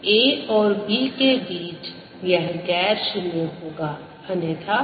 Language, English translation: Hindi, it will be non zero only between a and b and zero otherwise